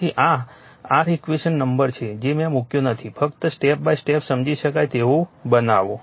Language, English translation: Gujarati, So, this is your equation number I did not put just make step by step understandable to you right